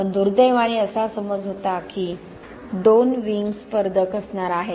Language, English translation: Marathi, But unfortunately there was a perception that these two wings are going to be competitors